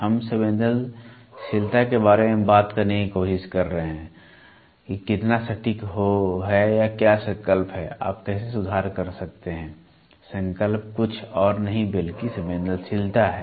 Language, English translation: Hindi, We are trying to talk about the sensitivity how much accure or what is the resolution, how do you improve the resolution is nothing but the sensitivity